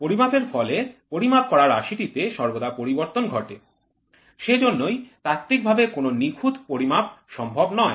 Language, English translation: Bengali, The measured quantity is always disturbed by the art of measurement, which makes a perfect measurement theoretically impossible